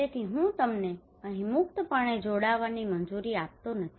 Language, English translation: Gujarati, so I am not allowing you to join here freely